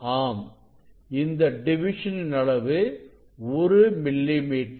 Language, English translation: Tamil, is division of this one is 1 millimeter